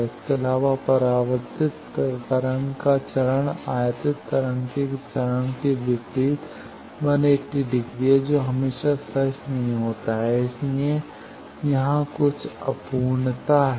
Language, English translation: Hindi, Also the reflected waves phase is 180 degree opposite to the incident waves phase that is not always true, so that are some imperfection